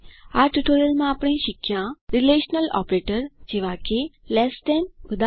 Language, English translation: Gujarati, In this tutorial, we learnt Relational operators like Less than: eg